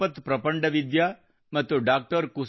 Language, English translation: Kannada, Chirapat Prapandavidya and Dr